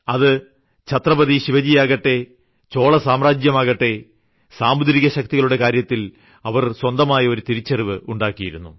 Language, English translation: Malayalam, Be it Chatrapati Shivaji, Chola Dynasty which made a new identity with Naval power